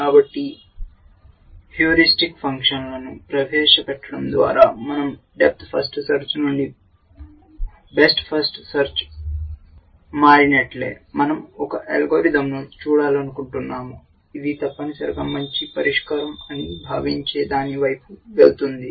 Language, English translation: Telugu, So, just as we moved from death first search to best first search by introducing heuristic function, we want to look at an algorithm which will go towards what it thinks is a good solution essentially